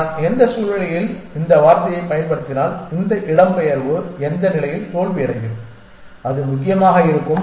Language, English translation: Tamil, If I am use the word under what conditions will this migration be successful under what condition will it fail and that kind of thing essentially